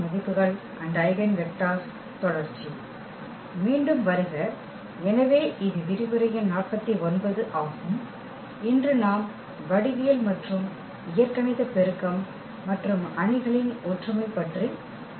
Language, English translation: Tamil, Welcome back, so this is lecture number 49 and we will be talking about today the geometric and algebraic multiplicity and the similarity of matrices